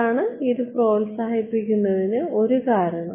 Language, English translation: Malayalam, So, it is one reason to promote it